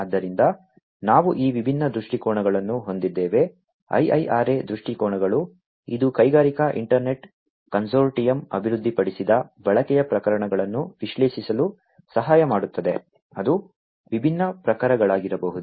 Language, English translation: Kannada, So, we have these different viewpoints IIRA viewpoints which can help in analyzing the use cases developed by the Industrial Internet Consortium which could be of different types